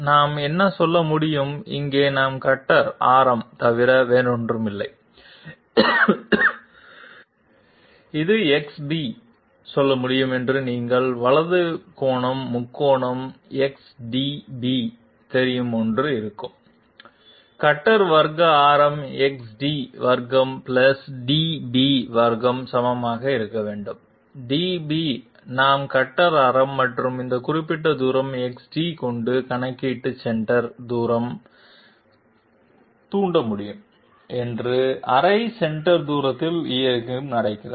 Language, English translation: Tamil, What we can say is that here there will be one you know right angle triangle XDB so that we can say XB, which is nothing but the radius of the cutter, radius of the cutter Square must be equal to XD square + DB square, DB happens to be half the centre distance so that we can induct centre distance into the calculation with cutter radius and this particular distance XD